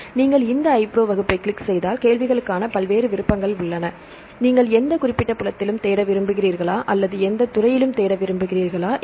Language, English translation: Tamil, So, you click on this iPro class, right and here there are various options for the query; whether you want to search with any specific field or you want to search on any field